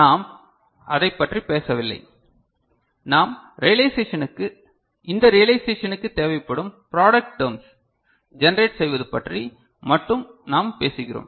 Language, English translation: Tamil, So, we are not talking about that, we are talking about generating those product terms which are required for this realization right